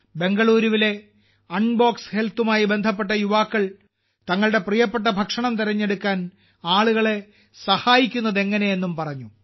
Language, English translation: Malayalam, The youth associated with Unbox Health of Bengaluru have also expressed how they are helping people in choosing the diet of their liking